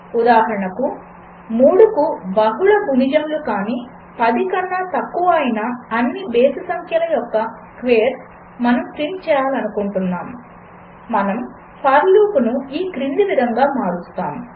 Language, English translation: Telugu, So, we wish to print the squares of all the odd numbers below 10, which are not multiples of 3, we would modify the for loop as follows